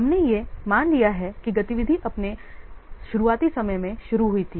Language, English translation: Hindi, We have assumed that the activity is started at this earliest start time